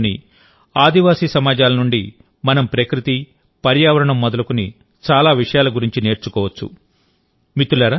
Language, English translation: Telugu, Even today, we can learn a lot about nature and environment from the tribal societies of the country